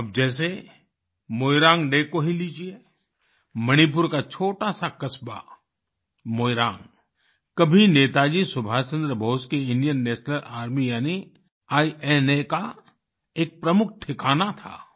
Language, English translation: Hindi, Now, take Moirang Day, for instance…the tiny town of Moirang in Manipur was once a major base of Netaji Subhash Chandra Bose's Indian National Army, INA